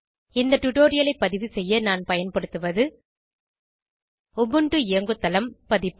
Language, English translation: Tamil, To record this tutorial I am using, * Ubuntu OS version